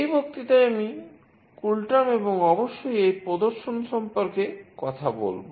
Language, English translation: Bengali, In this lecture, I will talk about CoolTerm and of course, the demonstration